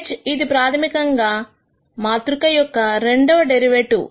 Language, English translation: Telugu, H is basically this second derivative matrix